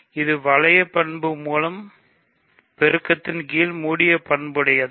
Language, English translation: Tamil, Is it closed under multiplication by ring element